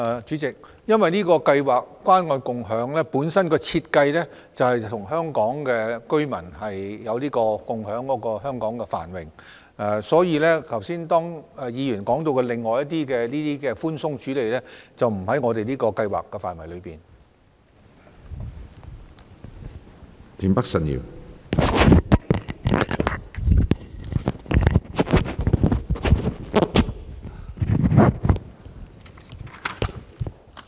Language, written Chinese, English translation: Cantonese, 主席，由於關愛共享計劃的設計是要與香港居民共享繁榮，所以剛才議員提及的寬鬆處理做法，並不在這項計劃的範圍內。, President given that the Scheme is designed to share the fruits of success with Hong Kong residents the lenient approach mentioned by Member just now does not fall within the scope of this Scheme